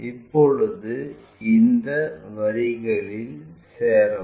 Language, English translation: Tamil, Now, join these lines